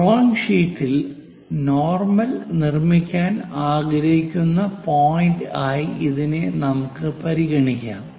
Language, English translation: Malayalam, Let us consider this is the point where I would like to construct normal on the drawing sheet here